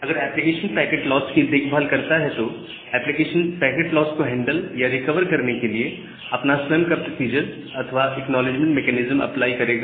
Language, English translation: Hindi, So, if the application cares about packet loss, the application will apply its own acknowledgement mechanism or its own procedure for handling or recovering from the loss